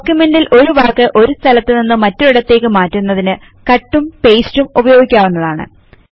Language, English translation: Malayalam, You can also use the Cut and paste feature in order to move a text from one place to another in a document